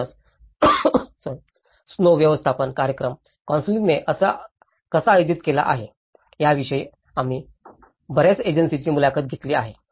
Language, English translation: Marathi, So, there we have interviewed many agencies, how the snow management program has been conducted by the council